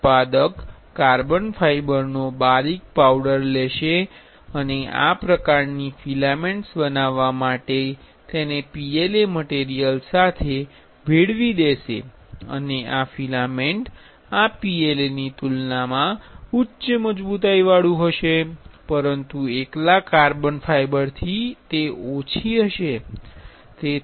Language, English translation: Gujarati, The manufacturer will take fine powder of carbon fiber and fill and mix it with PLA material to make this kind of filaments and the filaments will have higher strength compared to PLA, but less than carbon fiber alone